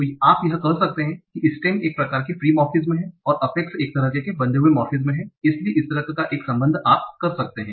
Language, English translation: Hindi, So you can say that the stems are kind of free morphemes and the affixes are kind of bound morphem